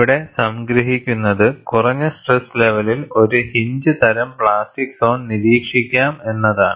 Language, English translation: Malayalam, And what is summarized here is, at low stress levels one observes a hinge type plastic zone